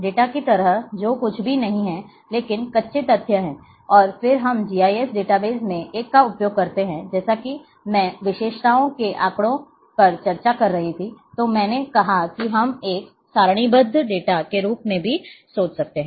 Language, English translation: Hindi, Like data which are nothing, but the raw facts, and a then we use a in GIS database as a I was discussing in attributes data I said that we can think as a tabular data